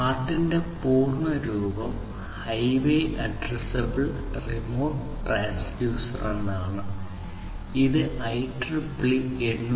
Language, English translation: Malayalam, The full form of HART is Highway Addressable Remote Transducer and it is based on 802